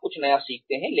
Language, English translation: Hindi, You learn something new